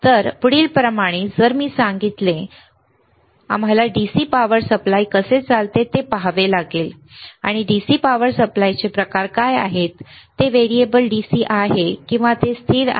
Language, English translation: Marathi, So, in the next like I said module we have to see how the DC power supply operates, and what are the kind of DC power supply is it variable DC or it is a constant